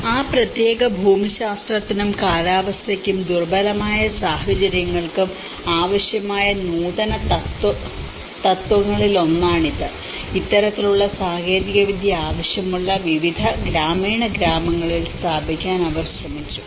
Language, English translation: Malayalam, And this has been one of the innovation where it was needed for that particular geographic, and the climatic conditions and the vulnerable conditions and they have tried to install in various rural villages which are been in need of this kind of technology